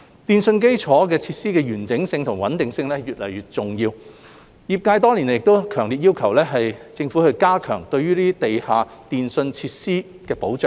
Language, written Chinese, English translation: Cantonese, 電訊基建設施的完整性及穩定性越來越重要，業界多年來亦強烈要求政府加強地下電訊設施的保障。, The integrity and reliability of telecommunications infrastructure facilities have become increasingly important and the sector has for many years strongly requested the Government to strengthen the protection of underground telecommunications facilities